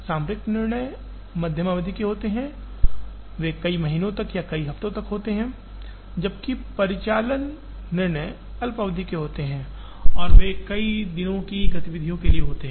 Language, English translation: Hindi, Tactical decisions are medium term, they are there for several months or several weeks, while operational decisions are short term and they are there for several days of activity